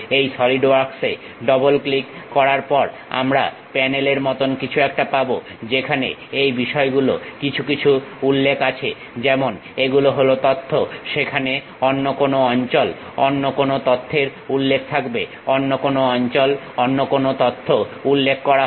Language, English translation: Bengali, After double clicking these Solidworks we will have something like a panel, where some of the things mentions like these are the data, there will be some other places some other data mentions, some other locations some other data will be mentioned